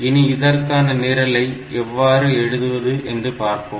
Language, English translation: Tamil, So, we will write that program; so, how to write it